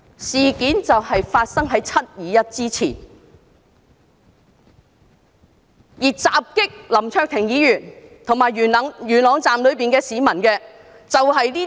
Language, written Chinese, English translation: Cantonese, 事件就發生在"七二一"之前，而襲擊林卓廷議員和元朗站內市民的，就是白衣人。, This incident happened before the 21 July incident and white - clad people were the ones who assaulted Mr LAM Cheuk - ting and the public inside Yuen Long Station